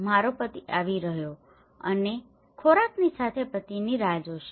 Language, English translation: Gujarati, my husband is coming and wait for the husband with food